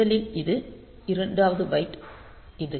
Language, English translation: Tamil, So, that will come to this second byte